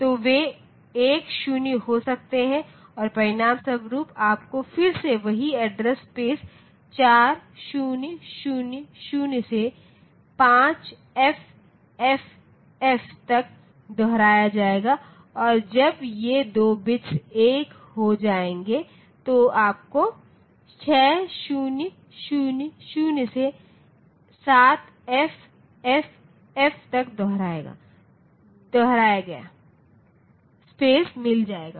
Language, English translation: Hindi, So, they may be 1 0 and as a result you will again get the same address space repeated from 4000 to 5FFF and when the bit 2 bits become 1, so you get the space repeated from 6000 to 7FFF